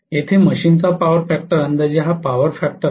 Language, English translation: Marathi, Here is the power factor of the machine roughly this is the power factor right